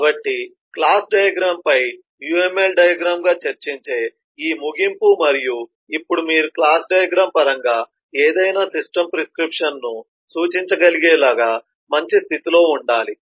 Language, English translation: Telugu, so this conclusion on discussion on the class diagram as a uml diagram, and now you should be in a good position to be able to represent any system prescription in terms of a class diagram